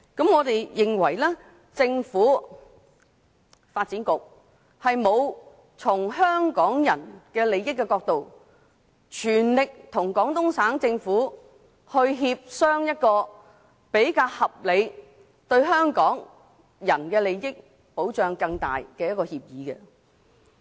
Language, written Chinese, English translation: Cantonese, 我們認為政府和發展局並沒有從香港人的利益出發，全力與廣東省政府協商出一個較合理，以及為香港人利益提供更大保障的供水協議。, In our view the Government and the Development Bureau have never from the perspective of Hong Kong peoples interests made an all - out effort to negotiate with the Guangdong Provincial Government for a more reasonable deal which can better protect our interests